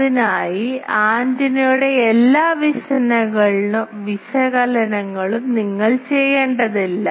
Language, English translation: Malayalam, with that for that, you not need not do all analysis of the antenna